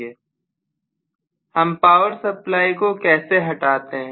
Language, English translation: Hindi, How do we disconnect the power supply